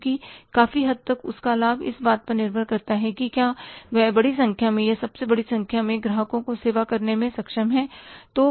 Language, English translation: Hindi, Because his profit to a larger extent depends upon if he is able to serve the larger number or the largest number of the customers